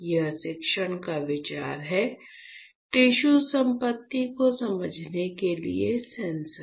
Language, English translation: Hindi, So, that is the idea of teaching you, the sensors for understanding tissue property